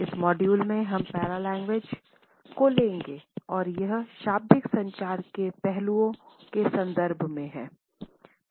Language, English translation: Hindi, In this module we would take up Paralanguage and it is connotations in the context of nonverbal aspects of communication